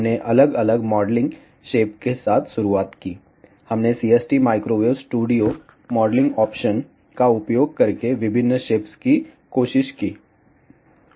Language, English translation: Hindi, We started with different modeling shape, we tried various shapes using CST microwave studio modeling option